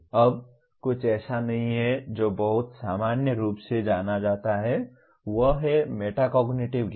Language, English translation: Hindi, Now come something not very commonly known is Metacognitive Knowledge